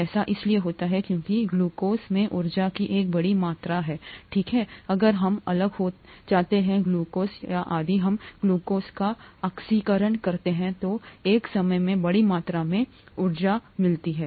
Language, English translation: Hindi, This happens because a large amount of energy in glucose, okay, if we split glucose, or if we oxidise glucose, a large amount of energy gets released at one time